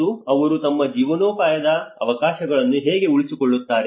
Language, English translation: Kannada, And that is how they sustain they livelihood opportunities